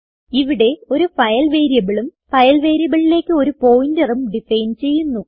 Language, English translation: Malayalam, Here, a file variable and a pointer to the file variable is defined